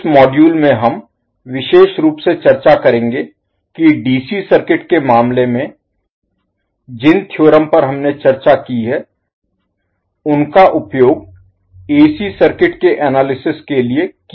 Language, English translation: Hindi, So what we will do in this module, we will discuss particularly on how the theorems which we discussed in case of DC circuit can be used to analyze the AC circuits